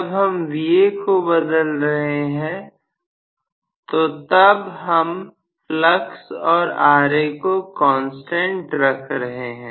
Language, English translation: Hindi, If Va is changing then we want to change, we want to keep flux and Ra as constants, right